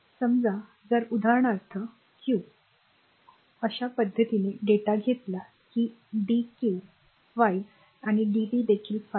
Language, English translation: Marathi, Suppose if q for example, a suppose you take the data in such a fashion such that the dq is 5 dt is also 5 so, that way